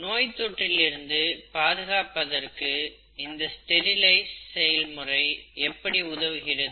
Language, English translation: Tamil, And how does sterilization help in preventing infection